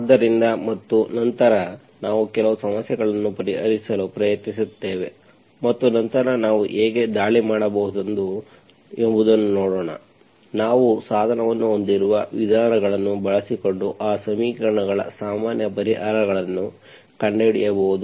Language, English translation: Kannada, So and then we will try to solve some problems and then see how we can attack, we can find the general solutions of those equations using the methods that we have device